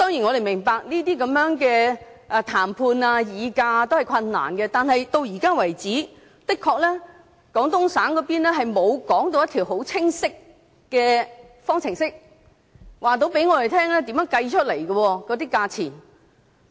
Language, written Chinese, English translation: Cantonese, 我們當然明白談判、議價是困難的，但廣東省方面至今的確沒有說出一條很清晰的方程式，告訴我們價錢是怎樣計算出來的。, We do understand that negotiation bargaining is nothing easy but it is true that the Guangdong Province has never told us how the price is calculated in terms of an explicit formula